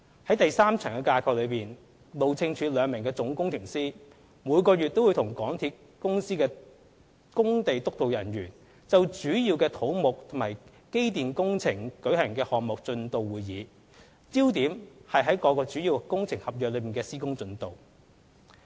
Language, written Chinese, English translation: Cantonese, 在第三層架構，路政署兩名總工程師每月均與港鐵公司的工地督導人員就主要的土木及機電工程舉行項目進度會議，焦點在於各主要工程合約的施工進度。, In the third tier two officers at Chief Engineer level hold monthly Project Progress Meetings with the site supervision staff of MTRCL on major civil and electrical and mechanical works focusing on the works progress in relation to the major contracts of works